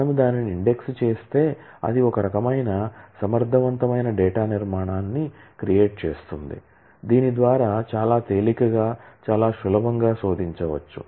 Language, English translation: Telugu, But if we index it, then it creates some kind of an efficient data structure through which it can be searched out very efficiently very easily